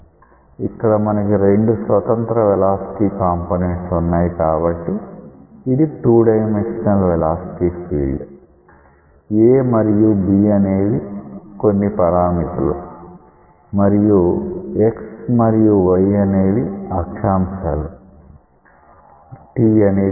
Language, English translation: Telugu, So, you are having two independent velocity components, it is a 2 dimensional velocity field; a and b are some parameters and x y are the coordinates t is the time